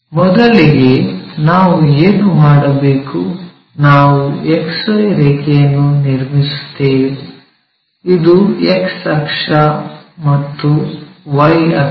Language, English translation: Kannada, First what we have to do, draw a XY line; X axis Y axis